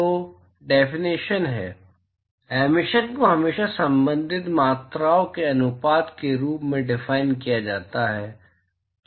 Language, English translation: Hindi, So, the definition is: Emissivity is always defined as a ratio of the corresponding quantities